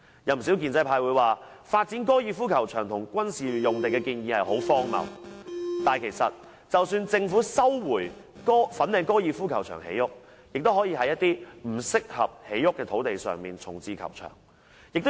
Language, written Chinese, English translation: Cantonese, 有不少建制派說，發展高爾夫球場和軍事用地的建議很荒謬，但其實即使政府收回粉嶺高爾夫球場建設房屋，也可以在一些不適合建屋的土地上重置球場。, Quite a number of pro - establishment Members say that the proposals of developing the golf club and military sites are ridiculous . Yet even if the Government takes back the Fanling Golf Club for housing development it can still relocate the golf club on sites that are not suitable for housing construction